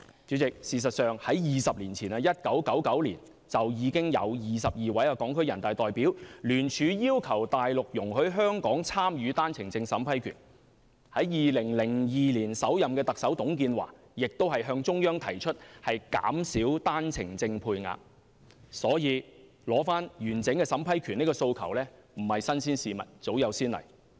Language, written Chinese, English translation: Cantonese, 主席，事實上在20年前，即1999年，已有22名港區人大代表聯署要求內地容許香港參與單程證審批權 ；2002 年首任特首董建華亦向中央提出減少單程證配額的要求，因此取回完整審批權的訴求絕非新鮮事物，早有先例。, 1999 joint signatures of 22 Hong Kong Deputies to the National Peoples Congress and delegates to the Chinese Peoples Political Consultative Conference were presented with a view to requesting the Mainland to allow Hong Kong to take part in the vetting and approval of OWPs . In 2002 the former Chief Executive TUNG Chee - hwa also submitted the request to the Central Government to reduce the OWP quota . For that reason the aspiration to take back the full vetting and approval power is nothing new at all as there have been precedents already